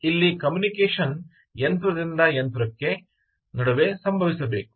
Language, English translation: Kannada, things have to happen between machine to machine